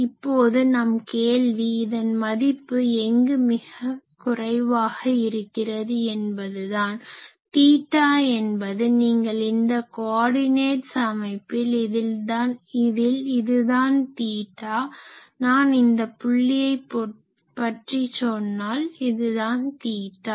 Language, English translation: Tamil, Now, the question is that where it will be minimum and what is theta, you see in this coordinate system this is theta, when I am talking of this point this is my theta, when I am talking of this point this is my theta ok